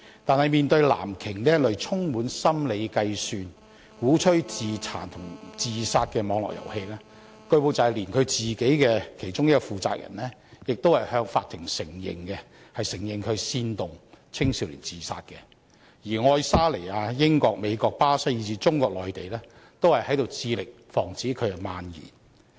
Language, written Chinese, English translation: Cantonese, 但是，面對"藍鯨"這類充滿心理計算，鼓吹自殘和自殺的網絡遊戲，據報連其中一個負責人亦已向法庭承認煽動青少年自殺，而愛沙尼亞、英國、美國、巴西以至中國內地亦在致力防止這遊戲蔓延。, It is the game which instigates suicide and self - mutilation . Indeed one of the producers of the game has already admitted in court that this game aims to incite young suicide . A number of countries including Estonia the United Kingdom the United States Brazil and even the Mainland China have already stepped up efforts to prevent the spread of this game